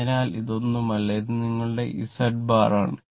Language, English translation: Malayalam, So, this is nothing, this is your Z bar right